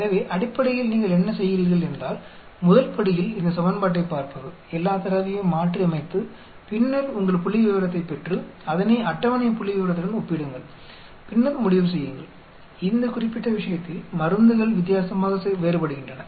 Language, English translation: Tamil, First step is to look at this equation, substitute all the data and then get your statistic compare it with the table statistic and then you conclude in this particular case there, drugs differ differently